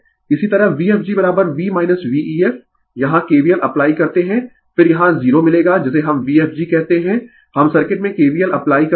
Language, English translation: Hindi, Similarly, V fg is equal to v minus V ef you apply kvl here right, then you will get 0 here what we call V fg we apply the kvl in the circuit